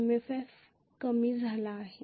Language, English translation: Marathi, MMF has decreased